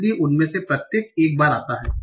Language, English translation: Hindi, So each of them occurs once